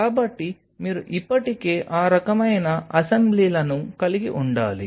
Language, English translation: Telugu, So, you needed to have those kinds of assemblies already in built into it